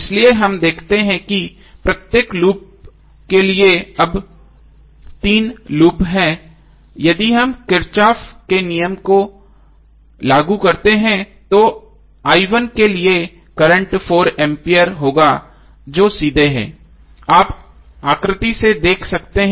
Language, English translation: Hindi, So we see there are 3 loops now for each loop if we apply the kirchhoff's law then for i1 the current would be 4 ampere which is straight away you can see from the figure